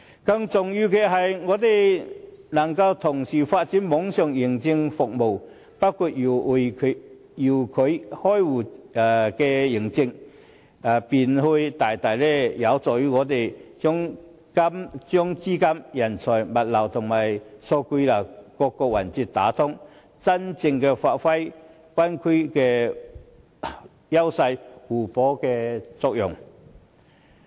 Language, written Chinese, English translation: Cantonese, 更重要的是，政府若能同時發展網上認證服務，包括遙距開戶認證，便會大大幫助香港把資金、人才、物流及數據流等各個環節打通，真正發揮灣區的優勢互補的作用。, More importantly the concurrent introduction of the online certification service including certification for remote account opening if possible can greatly facilitate the flows of capitals talents goods and data streams in the Bay Area to truly achieve complementarity